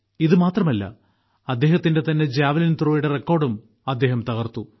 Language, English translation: Malayalam, Not only that, He also broke the record of his own Javelin Throw